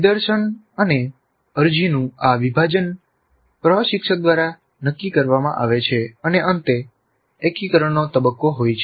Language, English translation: Gujarati, So this division of demonstration application is decided by the instructor and finally integration phase